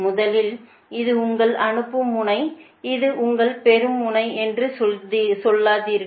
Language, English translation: Tamil, dont say this is your sending end and this is your receiving end